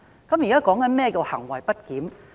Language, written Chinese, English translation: Cantonese, 我現在解釋何謂行為不檢？, I now explain what is meant by misbehaviour